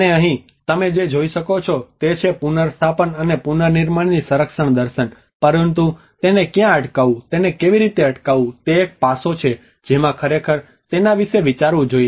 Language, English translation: Gujarati, And here, what you can see is that conservation philosophy of restoring and the reconstruction, but where to stop it, How to stop it, that is one aspect one has to really think about it